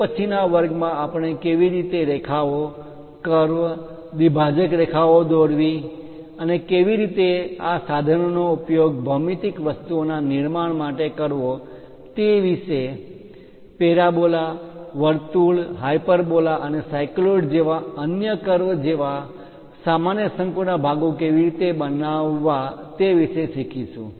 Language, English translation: Gujarati, In the next class onwards we will learn about how to draw lines curves, bisector lines and so on how to utilize these instruments to construct geometrical things, how to construct common conic sections like parabola, circle, hyperbola and other curves like cycloids and so on